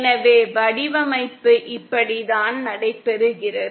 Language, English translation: Tamil, So this is how the design takes place